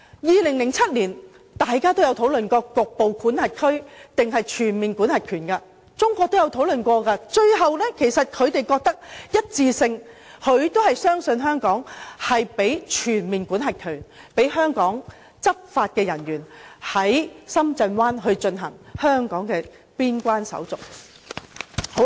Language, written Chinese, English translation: Cantonese, 2007年，大家也曾討論局部管轄權還是全面管轄權的問題，中國也曾作討論，最後他們一致相信香港，賦予我們全面管轄權，讓香港的執法人員在深圳灣進行香港的邊關手續。, China also considered this issue at that time . In the end they all chose to believe in Hong Kong and authorized Hong Kong enforcement officers to conduct Hong Kong border clearance in Shenzhen Bay Port using the juxtaposed border control arrangement